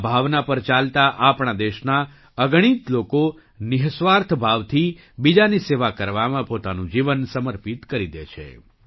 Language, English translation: Gujarati, Following this sentiment, countless people in our country dedicate their lives to serving others selflessly